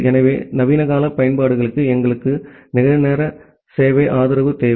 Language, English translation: Tamil, So, we need real time service support for modern day applications